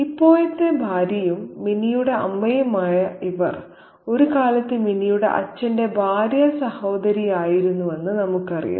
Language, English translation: Malayalam, So, we know that this current wife and the mother of Minnie has been once the sister in law of Minnie's father